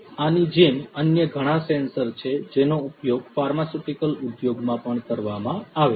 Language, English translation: Gujarati, Like this there are different different other sensors that would also be used in the pharmaceutical industry